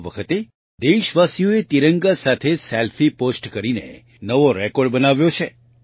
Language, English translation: Gujarati, This time the countrymen have created a new record in posting Selfie with the tricolor